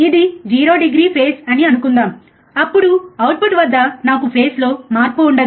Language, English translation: Telugu, When I assume that this is a 0 degree phase, then at the output I will have no phase shift